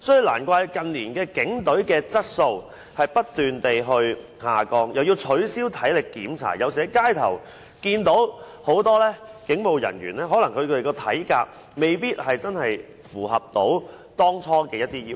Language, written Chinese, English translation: Cantonese, 難怪近年警隊的質素不斷下降，又要取消體力檢查，所以在街上看到很多警務人員的體格可能也未必符合當初的要求。, No wonder in recent years the calibre of police officers has been declining . With the lowering of the physical fitness standard we notice that many police officers on the street may not be able to reach the previous physical fitness standard